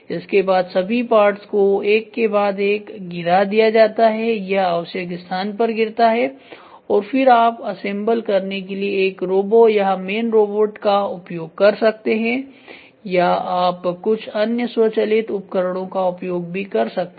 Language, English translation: Hindi, So, the parts are dropped one after other after the other it drops at the required place and then you can use a robo or man robot to assemble or you can also try to use some other automatic devices to get it done